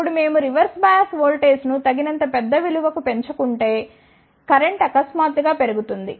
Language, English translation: Telugu, Now, if we increase the reverse bias voltage to a sufficient large value, then the current increases suddenly